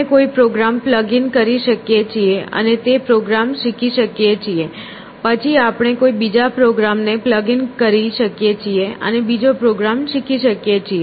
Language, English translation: Gujarati, We can plug in a program and learn that program, then we can plug in a different program and learn the different program